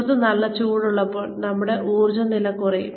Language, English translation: Malayalam, When it is very hot outside, our energy levels do go down